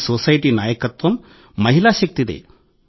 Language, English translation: Telugu, This society is led by our woman power